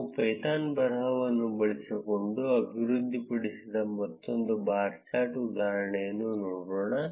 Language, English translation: Kannada, Let us look at another bar chart example that we developed using a python script